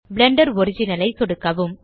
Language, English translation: Tamil, Left click Blender original